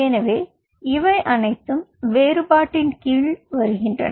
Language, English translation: Tamil, ok, so these all things falls under your differentiation